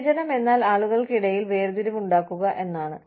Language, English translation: Malayalam, Discrimination means, making distinctions among people